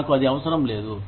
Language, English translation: Telugu, I do not need that